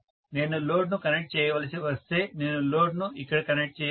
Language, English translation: Telugu, If I have to connect the load I have to connect the load here